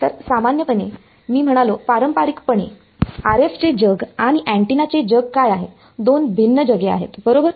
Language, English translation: Marathi, So, normally I mean traditionally what has the RF world and the antenna world are two different worlds right